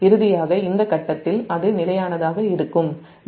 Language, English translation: Tamil, finally it will be stable at this point b